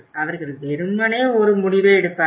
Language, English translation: Tamil, They simply take a decision